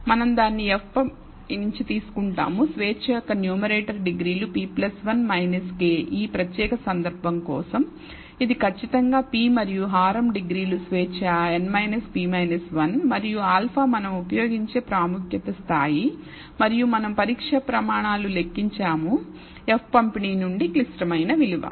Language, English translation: Telugu, We will take it from the F distribution where the numerator degrees of freedom is p plus 1 minus k for this particular case it is exactly p and the denominator degrees of freedom is n minus p minus 1 and alpha level of significance we use and we compute the test criteria, critical value from the F distribution